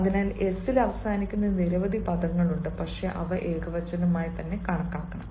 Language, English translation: Malayalam, so there are many words which may end in s, but they should be treated as singular